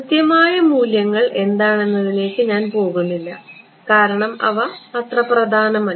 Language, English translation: Malayalam, I am not getting into what the precise values are because they are not important ok